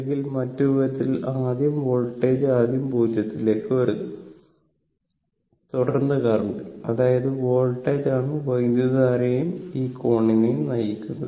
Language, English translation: Malayalam, Or other way the voltage actually coming to the 0 first, then the current; that means, voltage is your what you call leading your what you call leading the current and this angle phi